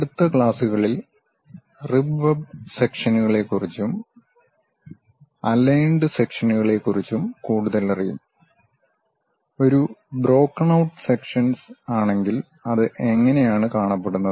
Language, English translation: Malayalam, In the next classes we will learn more about rib web sections, aligned sections; if it is a broken out kind of section how it looks like